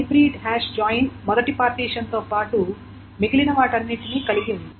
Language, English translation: Telugu, And there is a hybrid hash join which just retains the first partition always